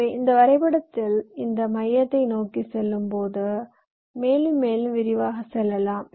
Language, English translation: Tamil, so in this diagram, if you come back to it, so as you move towards this center, your going into more and more detail